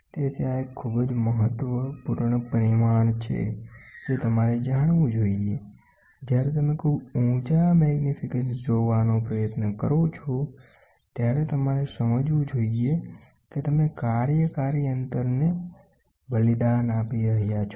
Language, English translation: Gujarati, So, this is a very very important parameter you should know, when you try to look at very high magnifications, you should understand you are sacrificing the working distance